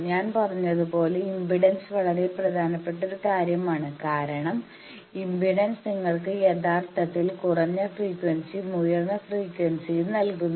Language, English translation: Malayalam, Also as I said that impedance is a very important thing because by impedance actually you see both in low frequency and high frequency